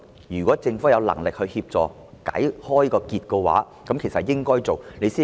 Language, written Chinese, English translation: Cantonese, 如果政府有能力協助把結解開，便應付諸實行。, If the Government has the ability to help untie the knot it should exercise such ability